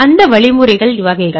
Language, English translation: Tamil, So, types of mechanisms